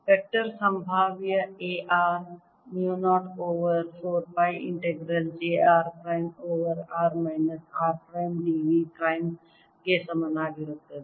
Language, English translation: Kannada, therefore, a x at r is going to be equal to mu zero over four pi integral of j x r prime over r minus r prime d v prime